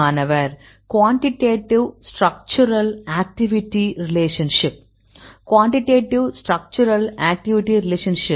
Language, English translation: Tamil, Quantitative Structural Activity Relationship Quantitative Structural Activity Relationship